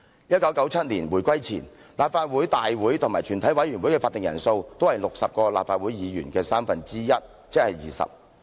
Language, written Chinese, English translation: Cantonese, 1997年回歸前，立法會大會及全體委員會的法定人數，都是60位立法會議員的三分之一，即是20人。, Before the reunification in 1997 the quorums for Council meetings and the committee of the whole Council were both one third of the 60 LegCo Members meaning 20 Members